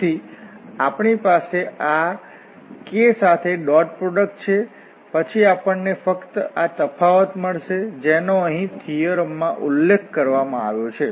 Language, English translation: Gujarati, So, this is and when we have the dot product with this k, then we will get just this difference, which was mentioned here in the theorem